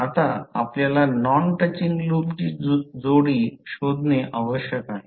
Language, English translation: Marathi, Now, next is you need to find out the pairs of non touching loop